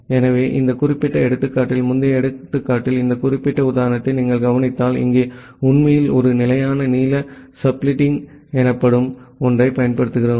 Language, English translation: Tamil, So in the earlier example in this particular example; if you look into this particular example, here actually we are using something called a fixed length subletting